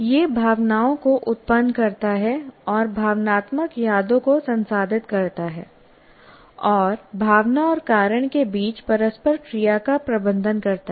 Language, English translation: Hindi, It generates emotions and processes emotional memories and manages the interplay between emotional reason